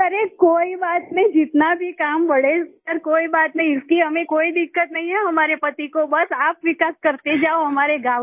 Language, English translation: Hindi, It doesn't matter, no matter how much work increases sir, my husband has no problem with that…do go on developing our village